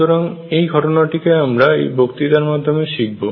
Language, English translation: Bengali, So, we will study this phenomena in this lecture